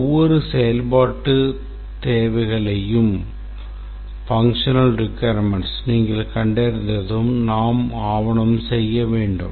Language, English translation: Tamil, And once we have identified the functional requirements, each functional requirement we need to document